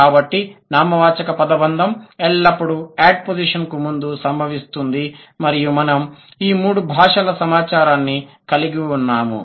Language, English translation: Telugu, So noun phrase always occurs before the the adposition and we have had data from all the three languages